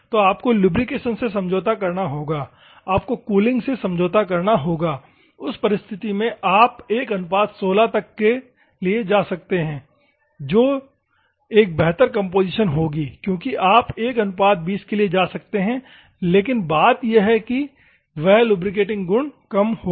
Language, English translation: Hindi, So, you have to compromise lubrication, you have to compromise cooling in that circumstances if you can go for 1 is to 16, that will be a better composition because you can go for 1 is to 20, but the thing is that lubricating properties will be less